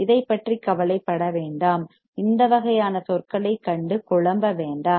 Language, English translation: Tamil, Do not worry about it and never get confused with this kind of terms right